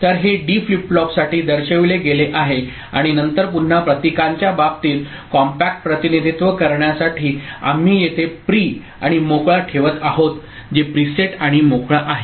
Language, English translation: Marathi, So, this is shown for a D flip flop and then in the case of symbol again, to make a compact representation – we’ll be putting here pr and clear that is preset and clear